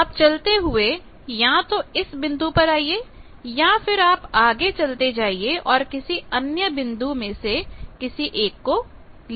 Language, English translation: Hindi, So, here I can either come to this point or I can continue and come to this point